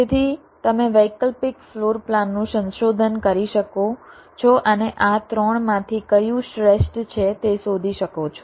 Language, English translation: Gujarati, so you can explore the alternate floor plans and find out which one of these three is the best